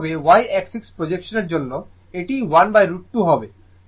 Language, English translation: Bengali, Similarly, for y axis projection it will be 1 by root 2